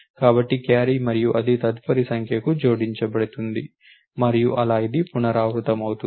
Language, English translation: Telugu, So, what happens that is the carry and that is added to the next number and so, on this is the repeated it